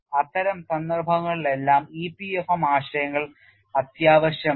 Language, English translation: Malayalam, In all those cases EPFM concepts are essential